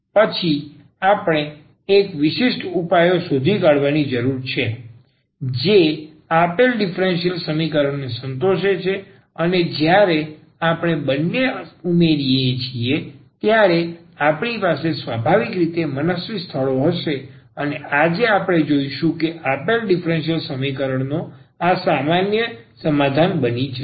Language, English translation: Gujarati, And then we need to find just one particular solution which satisfies the given differential equation and when we add the two so we will have naturally these n arbitrary constants and today we will see that this will become a general solution of the given a differential equation